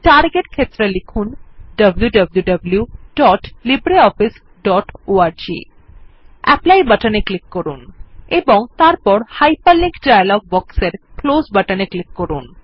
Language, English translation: Bengali, In the Target field, type www.libreoffice.org Click on the Apply button and then click on the Close button in the Hyperlink dialog box